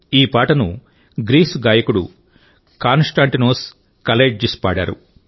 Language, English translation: Telugu, This song has been sung by the singer from Greece 'Konstantinos Kalaitzis'